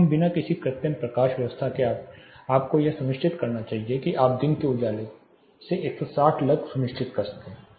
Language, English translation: Hindi, So, without any artificial lighting you should ensure you should be able to ensure 160 lux from just day lighting